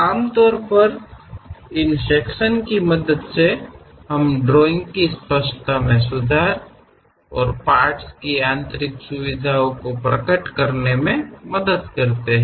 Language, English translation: Hindi, Usually this sections representation helps us to improve clarity and reveal interior features of the parts